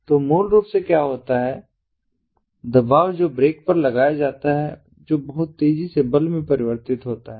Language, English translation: Hindi, so basically, what happens is the pressure that is put on the brake, that is converted into force pretty fast